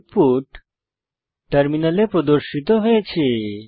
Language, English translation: Bengali, The output is as displayed on the terminal